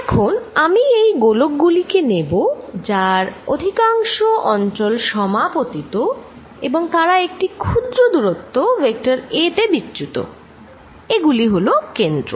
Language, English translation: Bengali, Let me now take these spheres to be overlapping over most of the regions and they are displaced by small vector a, these are the centres